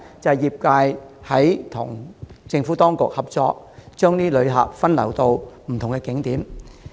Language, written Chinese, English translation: Cantonese, 因為業界與政府當局合作，把旅客分流至不同景點。, The reason is that the industry has joined hands with the Administration in diverting visitors to different tourist attractions